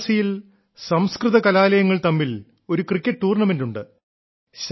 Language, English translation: Malayalam, In Varanasi, a cricket tournament is held among Sanskrit colleges